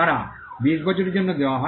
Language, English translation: Bengali, They are granted for a period of 20 years